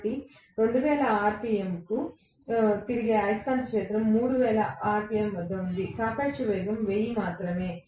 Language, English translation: Telugu, So, this is the 2000 rpm revolving magnetic field is at 3000 rpm, the relative velocity is only 1000